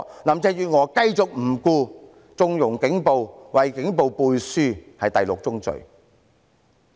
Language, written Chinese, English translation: Cantonese, 林鄭月娥繼續不理，縱容警暴，為警暴背書，此為第六宗罪。, Carrie LAM continued to turn a blind eye to the situation condone and endorse police brutality . This is the sixth sin